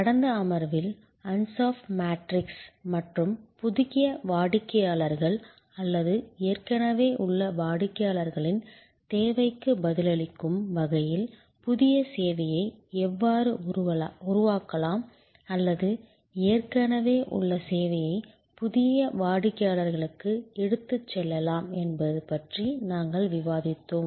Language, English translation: Tamil, We discussed in the last session, the Ansoff matrix and how new service can be generated in response to the need of new customers or existing customers or existing service can be taken to new customers